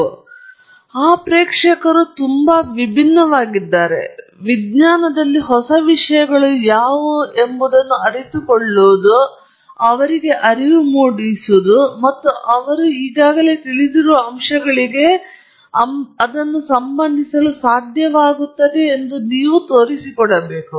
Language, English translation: Kannada, So, that audience is very different; they are interested in knowing what are new things in science that people look at and also get a sense, and they should be able to relate it to aspects that they are already aware of